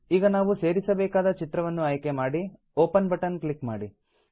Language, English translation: Kannada, Now choose the picture we want to insert and click on the Open button